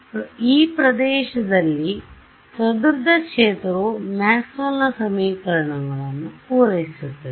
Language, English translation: Kannada, So, also does the scattered field satisfy the Maxwell’s equations right